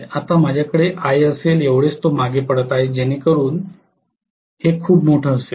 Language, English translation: Marathi, Now, I am going to have Ia probably as lagging as this okay may be quite large